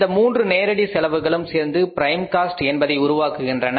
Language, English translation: Tamil, These three costs are the direct cost which make the prime cost